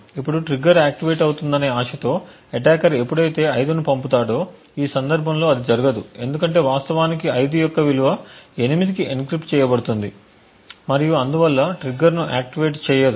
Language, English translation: Telugu, Now, when the attacker sends a value of 5 hoping that the trigger would get activated it will not in this case because in fact the value of 5 is getting encrypted to 8 and therefore will not actually activate the trigger